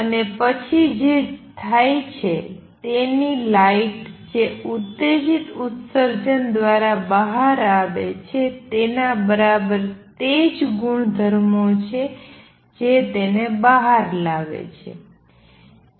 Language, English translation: Gujarati, And what happens then is the light which comes out through stimulated emission has exactly the same properties that makes it come out